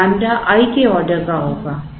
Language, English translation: Hindi, So, lambda will be of the order of i